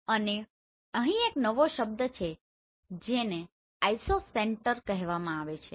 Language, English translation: Gujarati, And there is a new term called Isocenter here